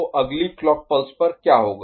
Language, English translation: Hindi, So, next clock pulse what will happen